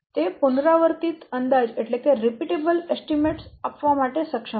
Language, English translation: Gujarati, It is able to generate repeatable estimations